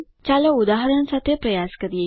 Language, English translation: Gujarati, Let us try with an example